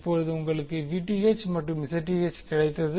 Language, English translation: Tamil, Now, you got Vth and Zth